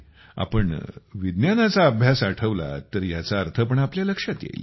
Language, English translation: Marathi, If you remember the study of science, you will understand its meaning